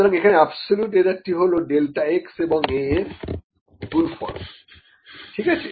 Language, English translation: Bengali, So, then the absolute error here is equal to a times delta x, is it, ok